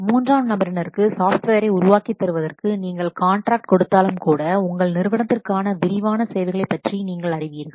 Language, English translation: Tamil, See, even if you will give contract to a third party to develop a software, it is you who know about the detailed requirements for your organization